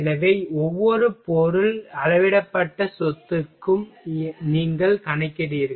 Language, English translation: Tamil, So, you calculate for each material scaled property